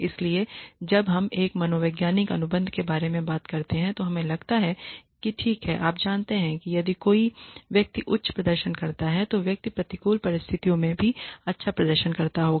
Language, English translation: Hindi, So, when we talk about a psychological contract we feel that okay, you know, if a person is a high performer then the person will continue to perform high well even in adverse conditions